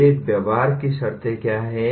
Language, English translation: Hindi, What are these behavioral terms